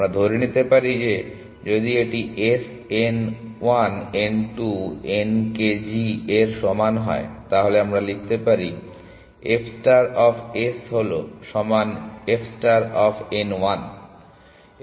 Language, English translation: Bengali, We can assume that, if this is equal to S n 1 n 2 n k G, then we can write f star of S is equal to f star of n 1